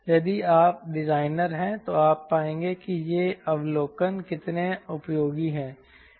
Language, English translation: Hindi, if you are designer you will find how useful are these observation